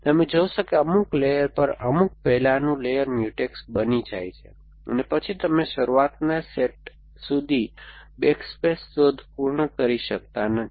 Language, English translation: Gujarati, You will find that at some layer some preceding layer they become Mutex and then you cannot complete backward space search all way all the way to the start set